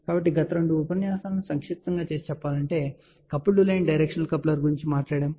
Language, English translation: Telugu, So, just to summarize in the last two lectures we have talked about coupled line directional coupler